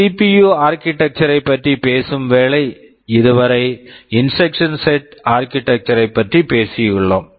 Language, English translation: Tamil, Broadly with respect to CPU architectures we are so far talking about instruction set architectures, now talking about how the CPU works there is a broad classification here